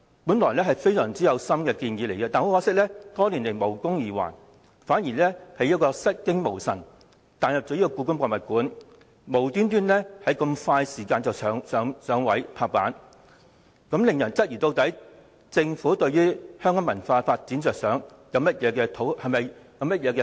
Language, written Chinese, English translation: Cantonese, 這些原本是相當有心思的建議，可惜爭取多年卻無功而還，反而突然出現故宮館項目，在極短時間內便"拍板"通過，令人質疑政府的目的是促進香港文化發展，還或只是想討好北京。, These thoughtful proposals have not been adopted after years of campaign but the HKPM project has suddenly been introduced and endorsed in no time . People wonder whether the purpose of the Government is to promote cultural development in Hong Kong or merely to curry favour with Beijing